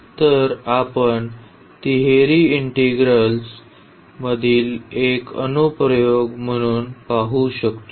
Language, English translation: Marathi, Today we will learn about the triple integrals